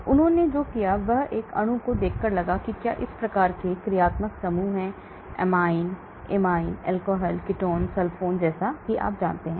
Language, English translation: Hindi, So what they did was, they looked at a molecule and saw whether it had these type of functional groups, amine, amide, alcohol, ketone, sulfone like that you know